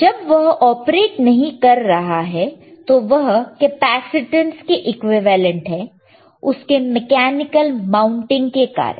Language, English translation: Hindi, Whene are not operating, it is equivalent to capacityance, is equivalent to a capacitor due to its mechanical mounting right